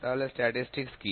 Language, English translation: Bengali, So, what is statistics